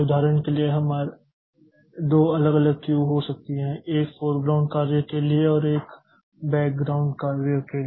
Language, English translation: Hindi, For example, we may have two different queue one for foreground jobs and one for background jobs